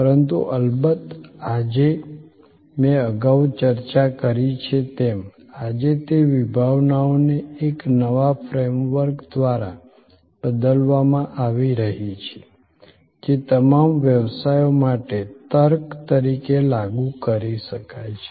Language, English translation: Gujarati, But, of course, today as I have already discussed earlier, today those concepts are being replaced by a new framework, which can be applied as a logic to all businesses